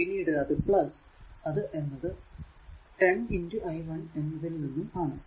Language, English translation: Malayalam, So, directly you are getting that i 1 and i 2